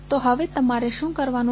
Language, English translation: Gujarati, So, now what you have to do